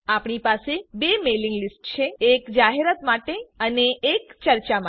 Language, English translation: Gujarati, We have two mailing lists, one for announce and one for discuss